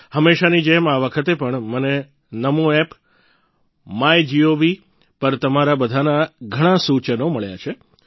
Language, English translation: Gujarati, As always, this time too, I have received numerous suggestions from all of you on the Namo App and MyGov